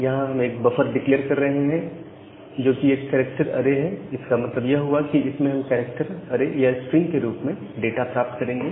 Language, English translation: Hindi, So, we are declaring a buffer as a character array, we will get the data in the form of a character array or a string